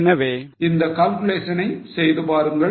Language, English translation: Tamil, So, do this calculation